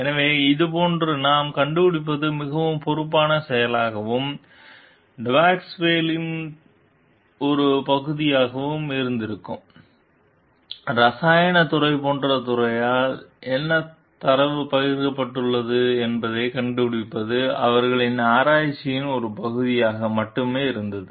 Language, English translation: Tamil, So, what we find like it would have been a more responsible act and part of Depasquale to like find out whether the whatever data has been shared by the department like the chemical department was a part of their research only